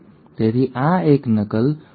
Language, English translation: Gujarati, So this is a replication fork